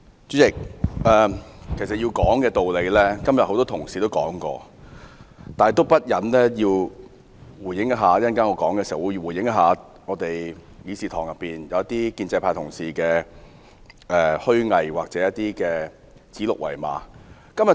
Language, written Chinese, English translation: Cantonese, 主席，要談的道理，很多同事今天都談了，但我忍不住仍要回應一下議事堂內一些建制派同事虛偽或指鹿為馬的言論。, President many colleagues have already talked about the principles that have to be reasoned with and yet I cannot help but respond to the hypocritical comments and deliberate misrepresentations of the pro - establishment colleagues in this Chamber